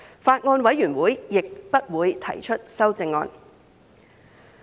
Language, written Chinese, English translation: Cantonese, 法案委員會亦不會提出修正案。, The Bills Committee will not propose any amendments either